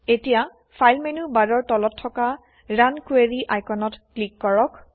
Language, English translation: Assamese, Now, let us click on the Run Query icon below the file menu bar